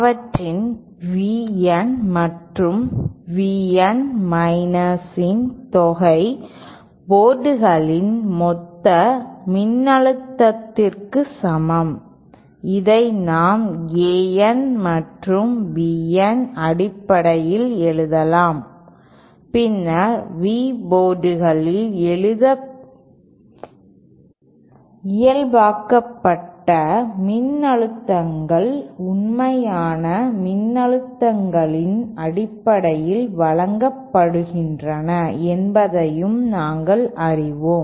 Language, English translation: Tamil, Where V N and V N minus sum of them is equal to the total voltage at the port and this we can also write in terms of a N and b N and then we also know that normalized voltages at V port is given in terms of the actual voltages as shown, so this can simple be witnessed AN plus BN